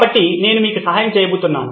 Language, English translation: Telugu, So I’m going to help you out with that